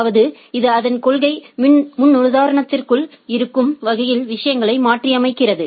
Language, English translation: Tamil, That means, it modifies the things in a such a way that, which is within its policy paradigm